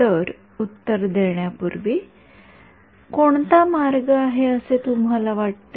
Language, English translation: Marathi, So, before giving you the answer what do you think is the way